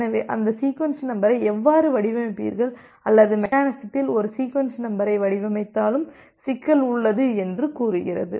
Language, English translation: Tamil, So, the questions comes says that how will you design that sequence number or whether there is still a problem even if you design a sequence number in mechanism